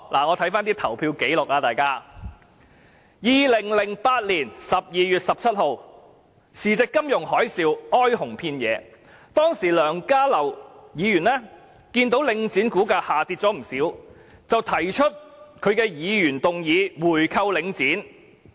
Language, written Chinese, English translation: Cantonese, 我翻查投票紀錄 ，2008 年12月17日，時值金融海嘯，哀鴻遍野，當時的梁家騮議員看到領匯股價下跌不少，便提出議案要求購回領匯。, I have looked up the voting records . On 17 December 2008 when the financial tsunami was running its course and there were wailings in despair everywhere Dr LEUNG Ka - lau noticing that the stock price of The Link had fallen quite considerably proposed a motion on buying back The Link